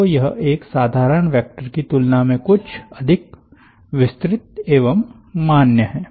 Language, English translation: Hindi, so it is something more general than an ordinary vector